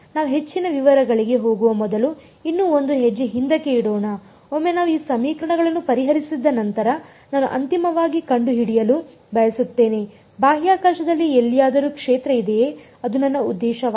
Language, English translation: Kannada, Let us take one more step back before we go into more details once we have solved these equations I want to find out finally, the field anywhere in space that is my objective